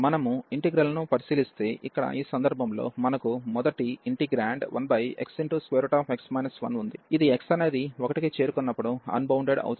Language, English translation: Telugu, If we take a look at this integral, here the first integral in this case, we have this integrand 1 over x square root x minus 1, which is getting unbounded, when x is approaching to 1